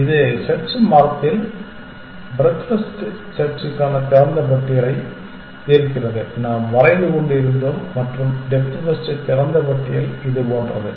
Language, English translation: Tamil, Now, in the search tree that we were drawing like this solves the open list for breadth first search and the open list for depth first was like this